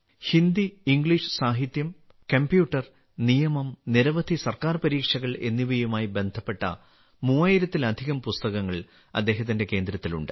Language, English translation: Malayalam, , His centre has more than 3000 books related to Hindi and English literature, computer, law and preparing for many government exams